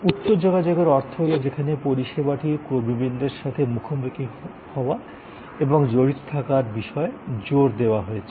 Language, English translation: Bengali, High contact means that there is the emphasis is on encounter and engagement with service personal